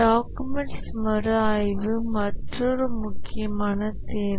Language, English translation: Tamil, Review of documents is another important requirement